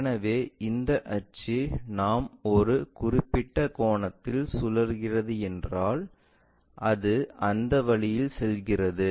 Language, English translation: Tamil, So, this axis if we are rotating by a certain angle it goes in that way